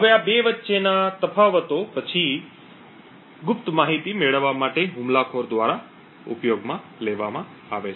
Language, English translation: Gujarati, Now the differences between these 2 are then used by the attacker to gain secret information